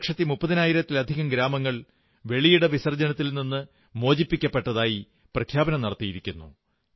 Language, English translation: Malayalam, More than two lakh thirty thousand villages have declared themselves open defecation free